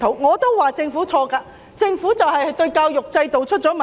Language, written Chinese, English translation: Cantonese, 我也說政府有錯，令整個教育制度出了問題。, I did accuse the Government of its wrongdoing which has caused the entire education system to run into trouble